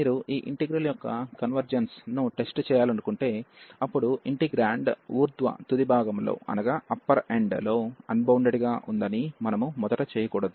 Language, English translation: Telugu, So, if you want to test the convergence of this integral, then we should not first that the integrand is unbounded at the upper end